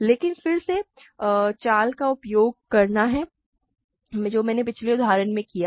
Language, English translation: Hindi, But again, the trick is to use what I have done in the previous example